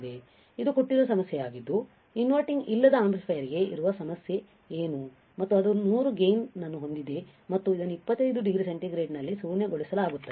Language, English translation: Kannada, This is a given problem right this is a given problem what is the problem that for non inverting amplifier is there and it has a gain of 100 and it is nulled at 25 degree centigrade